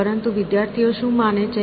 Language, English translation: Gujarati, But, what do students think